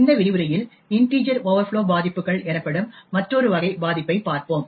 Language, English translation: Tamil, So, there are 3 different types of integer overflow vulnerabilities